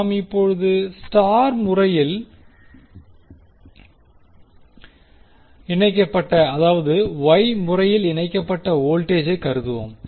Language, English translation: Tamil, Now, let us consider the star connected that is wye connected voltage for now